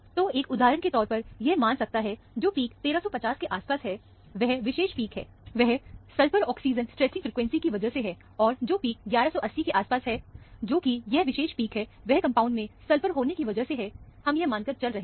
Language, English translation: Hindi, One can, for example, assume that, the peak around 1350, which is this particular peak, and the peak around 1180, which is this particular peak, maybe because of a sulphur oxygen stretching frequency; because sulphur is present in the compound, we are assuming this